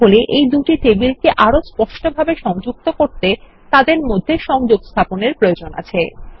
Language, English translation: Bengali, So to explicitly connect these two tables, we will still need to link them someway